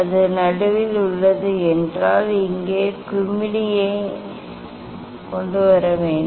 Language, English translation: Tamil, this way you have to bring this here bubble at the middle